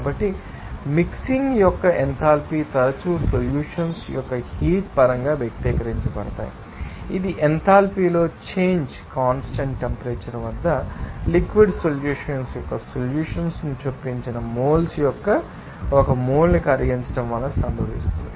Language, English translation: Telugu, So, enthalpies of mixing are often expressed in terms of that heat of solution, it is the change in enthalpy that results from dissolving one mole of solute inserted moles of liquid solvent at constant temperature